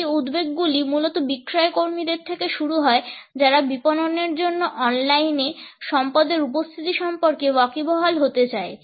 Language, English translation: Bengali, These concerns basically is started with the sales people, people who wanted to tap the online availability of resources for marketing